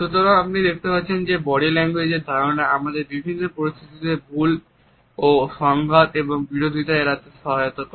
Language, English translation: Bengali, So, you would find that an understanding of body language helps us in avoiding the misinterpretations and conflicts and antagonists in different situations